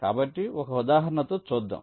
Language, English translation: Telugu, lets take an example like this